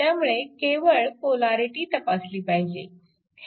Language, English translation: Marathi, So, only polarity you have to check